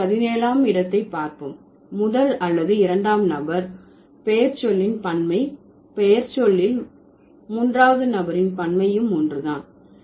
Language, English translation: Tamil, And 17 generation says if there is a plural of first or second person pronoun is formed with a nominal plural, then the plural of third person is also going to be formed in the same way